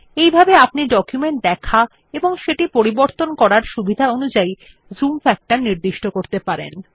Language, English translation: Bengali, Likewise, you can change the zoom factor according to your need and convenience for viewing and editing the documents